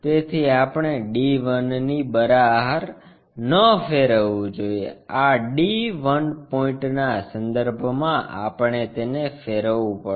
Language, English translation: Gujarati, So, one should not move out of d 1, about this d 1 point we have to rotate it